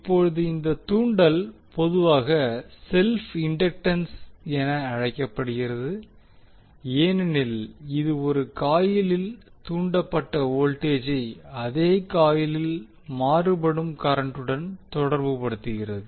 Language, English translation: Tamil, Now this inductance is commonly called as self inductance because it relate the voltage induced in a coil by time varying current in the same coil